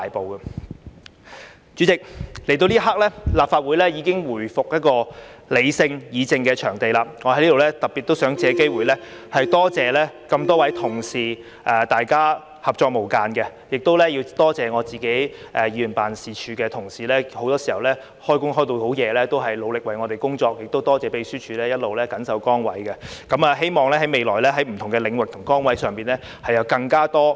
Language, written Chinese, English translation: Cantonese, 代理主席，來到這一刻，立法會已回復理性議政的場地，我在此特別想借機會多謝多位同事大家合作無間，亦要多謝我自己議員辦事處的同事很多時候到很晚仍在努力為我們工作，亦多謝秘書處一直緊守崗位；希望未來在不同的領域和崗位上，有更多合作空間。, Here I would particularly like to take this opportunity to thank a number of colleagues for their close collaboration . I would also like to thank the colleagues in my own office for working hard for us till late at night as well as the Secretariat staff for sticking to their posts . I hope that there will be more room for collaboration in different areas and positions in the future